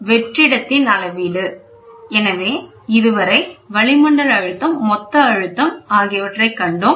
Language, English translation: Tamil, Measurement of vacuum: so, till now we saw atmospheric pressure, total pressure